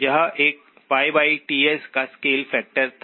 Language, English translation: Hindi, This one had a scale factor of pi by Ts